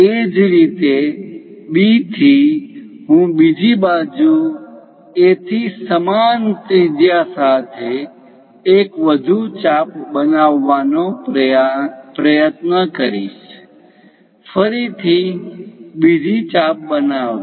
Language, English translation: Gujarati, Similarly, from B, I will try to construct on the other side one more arc with the same radius from A; again, construct another arc